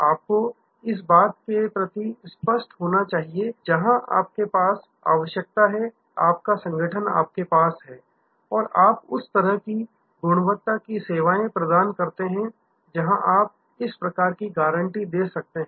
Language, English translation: Hindi, You must be very clear that you have the necessary where with us your organization and you services of that kind of quality, where you can give this short of guarantee